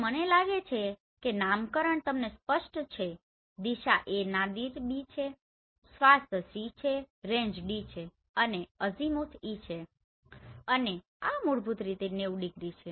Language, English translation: Gujarati, So I think nomenclature is clear to you the direction is A Nadir is B, swath is C range is D right and azimuth is E and this is basically 90 degree right